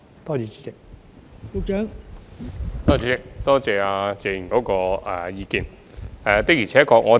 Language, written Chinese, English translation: Cantonese, 代理主席，多謝謝議員的意見。, Deputy President I would like to thank Mr TSE for his views